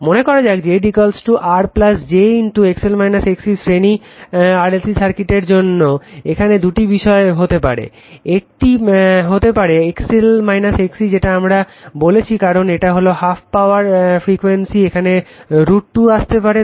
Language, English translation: Bengali, Suppose Z is equal to your R plus j for series RLC circuit XL minus XC two things can happen if one is XL minus XC equal your what we call it because it is half power frequency root 2 has to come right